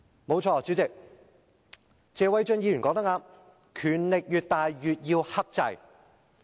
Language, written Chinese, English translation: Cantonese, 不錯，主席，謝偉俊議員說得正確，權力越大越要克制。, President Mr Paul TSE is right in saying that people with greater power should exercise more self - restraint